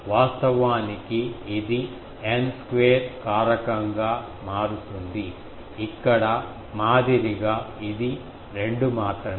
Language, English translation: Telugu, Actually, this is the idea that it becomes a N square factor ok; like here, it is only 2